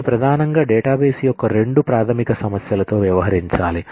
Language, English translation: Telugu, It primarily has to deal with two fundamental issues of a database